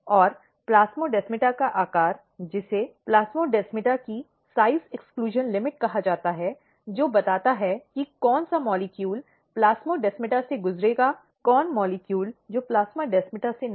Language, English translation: Hindi, And size of plasmodesmata which is called size exclusion limit of plasmodesmata defines, which molecule to pass through the plasmodesmata, which molecule not to the plasmodesmata